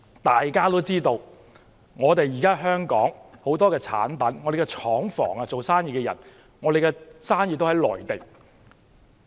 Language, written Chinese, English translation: Cantonese, 大家也知道，香港很多產品在內地生產，不少廠房和生意也設在內地。, As we all know many Hong Kong products are made in the Mainland and many Hong Kong factories or businesses are established in the Mainland